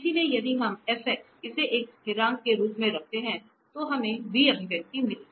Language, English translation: Hindi, So, if we put this Fc, Fx as a constant, then we got the expression for v